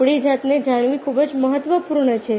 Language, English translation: Gujarati, knowing ourselves is very, very important